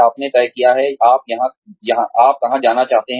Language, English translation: Hindi, You decided, where you want to go